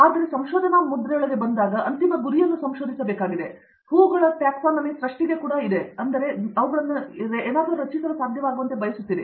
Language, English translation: Kannada, When they come into the research mold, they also need to research the final goal and the blooms taxonomy is also in creation, right, so you would want them to able to create something